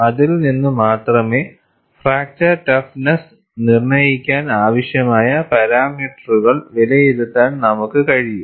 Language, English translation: Malayalam, Only from that, you would be in a position to evaluate the parameters needed for fracture toughness determination